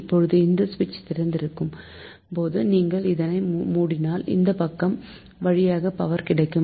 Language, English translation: Tamil, so suppose this is open and you close this one, so power will come from this side, right